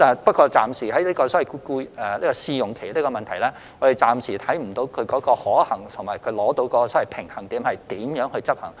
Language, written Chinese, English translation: Cantonese, 不過，就設立試用期而言，我們暫時看不到其可行性和如何能在執行上取得平衡。, Nevertheless regarding the introduction of a probation period we do not see how it is feasible and how a balance can be struck in its implementation for the time being